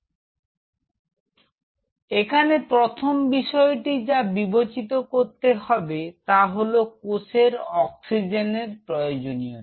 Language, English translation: Bengali, So, first thing which has to be considered; what is the demand of the cell of these cells for oxygen